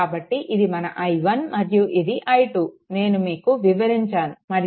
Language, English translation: Telugu, So this is your i 1 and this is your i 2, whatever I have explained and this is your V oc is equal to V Thevenin right